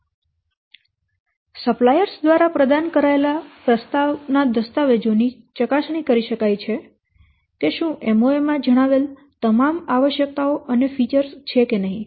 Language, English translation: Gujarati, So, the proposal documents provided by the suppliers, they can be scrutinized to see if they contain all the features as mentioned in the MOA which are satisfying all the original requirements